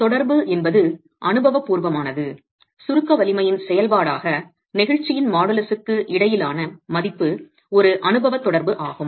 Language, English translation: Tamil, The value between modulus of elasticity as a function of the compressive strength is an empirical correlation